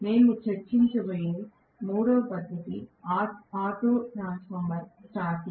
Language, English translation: Telugu, The third method of starting that we are going to discuss is auto transformer starting